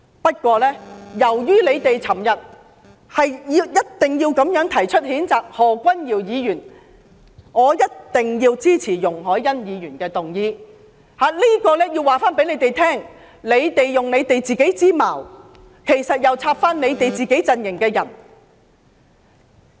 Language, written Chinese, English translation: Cantonese, 不過，由於他們昨天堅持要提出譴責何君堯議員議案，所以我也必定要支持容海恩議員動議的這項議案，目的是告訴他們，他們是用自己的矛插向自己陣型的人。, However since they insisted yesterday on proposing a motion to censure Dr Junius HO I must also support Ms YUNG Hoi - yans motion in question with the aim of advising them that they are the ones who use their own spear to attack their own shield